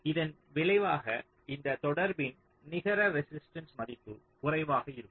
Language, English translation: Tamil, the result is that the net resistance value of this contact will be less